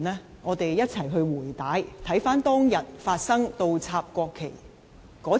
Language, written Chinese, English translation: Cantonese, 讓我們一起"回帶"，重溫當日發生倒插國旗時的背景。, Let us rewind the tape together and revisit the background events leading to the inversion of the national flags that day